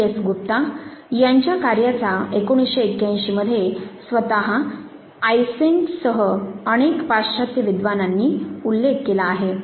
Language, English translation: Marathi, S Gupta which was cited by many western scholars including Eysenck himself in 1981